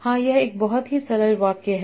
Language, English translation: Hindi, Yes, this is very simple sentence